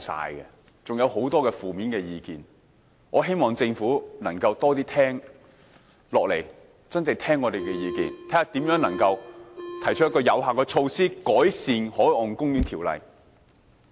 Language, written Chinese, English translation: Cantonese, 我還有很多負面意見，希望政府能夠多聆聽，真正聆聽我們的意見，看看如何能夠提出有效措施，改善《海岸公園條例》。, I have many pent - up negative comments and I hope the Government can listen to them pay genuine attention to our opinions so as to come up with viable solutions to improve the Marine Parks Ordinance